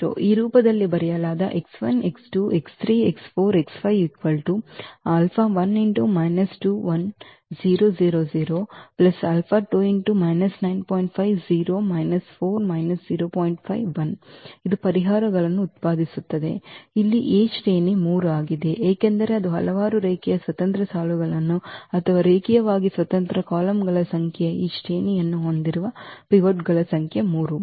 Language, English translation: Kannada, So, here the rank of A is 3 because it s a number of linearly independent rows or number of linearly independent columns or the number of pivots we have this rank 3